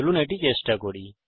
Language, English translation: Bengali, Let us try it out